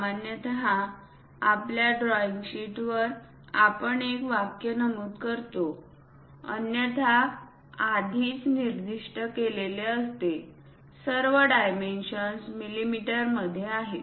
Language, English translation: Marathi, Usually on our drawing sheets we mention a word sentence, unless otherwise specified all dimensions are in mm